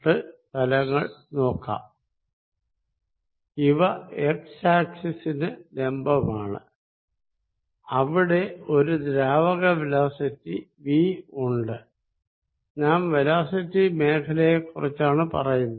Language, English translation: Malayalam, 5, 6, 7, 8 is perpendicular to the x axis and if there is a velocity of fluid v we talking about velocity field